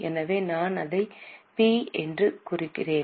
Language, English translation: Tamil, So, I am marking it as P